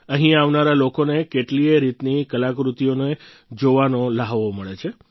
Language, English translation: Gujarati, People who come here get an opportunity to view myriad artefacts